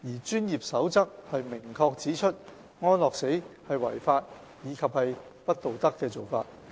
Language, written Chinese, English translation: Cantonese, 《專業守則》明確指出，安樂死是違法及不道德的做法。, The Code clearly states that euthanasia is illegal and unethical